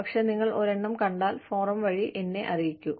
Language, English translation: Malayalam, But, if you come across one, please, let me know, through the forum